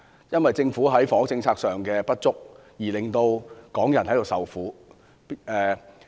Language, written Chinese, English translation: Cantonese, 因為政府在房屋政策上的不足，港人便要受苦。, Due to the Governments inadequacies in housing policies the people of Hong Kong have to suffer